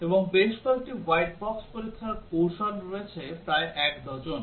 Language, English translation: Bengali, And there are several white box test strategies that are possible about a dozen of them